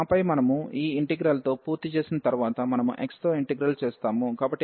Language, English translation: Telugu, And then once we are done with this integral, we will integrate with respect to x